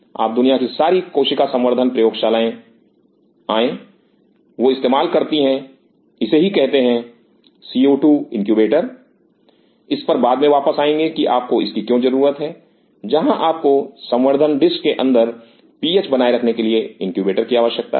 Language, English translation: Hindi, Now all the cell culture labs across the world they use something called co 2 incubator will come later why you need that is, where you are needing the incubator for maintaining the ph inside the culture dish